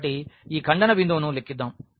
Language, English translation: Telugu, So, let us compute the point of this intersection